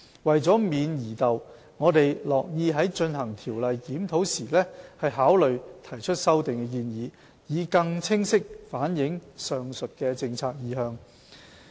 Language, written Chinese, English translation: Cantonese, 為免疑竇，我們樂意在進行《條例》的檢討時考慮提出修訂建議，以更清晰反映上述的政策意向。, For the avoidance of doubt we will be happy to consider proposing amendments when conducting a review of the Ordinance so as to reflect the aforesaid policy intent in a clearer manner